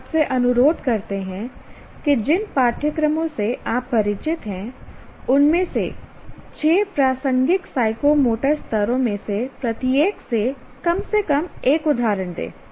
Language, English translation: Hindi, We request you to give at least one example from each one of the six relevant psychomotor levels from the courses you are familiar with